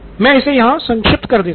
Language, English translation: Hindi, Let me abbreviate it